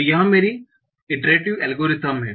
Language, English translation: Hindi, So this is my iterative algorithm